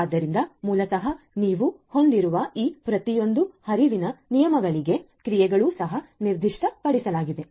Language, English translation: Kannada, So, basically you have for each of these flow rules you have the corresponding actions that are also specified